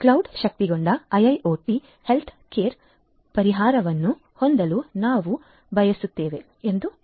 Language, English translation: Kannada, Let us say that we want to have a cloud enabled IIoT healthcare care solution